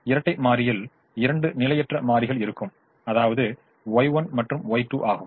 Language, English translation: Tamil, the dual will have two variables, y one and y two